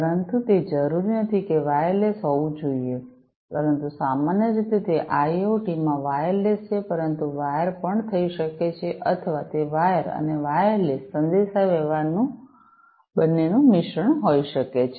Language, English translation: Gujarati, But it is not necessary that it has to be wireless, but typically, it is wireless in IOT, but it can be wired as well or, it can be a mix of both wired and wireless communication